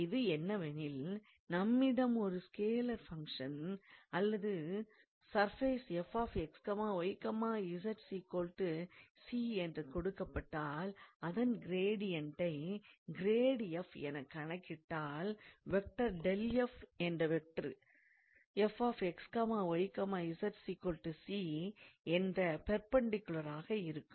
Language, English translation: Tamil, And this is what the physical meaning is that if you have a scalar function or a surface given as f x, y, z equals to c, then when you calculate the gradient as grad f then in that case that gradient of f is a vector perpendicular to the surface f x, y, z equals to c